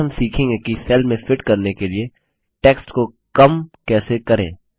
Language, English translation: Hindi, Next we will learn how to shrink text to fit into the cell